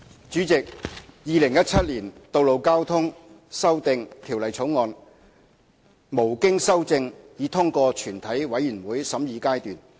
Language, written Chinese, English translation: Cantonese, 主席，《2017年道路交通條例草案》無經修正已通過全體委員會審議階段。, President the Road Traffic Amendment Bill 2017 has passed through the Committee stage without amendment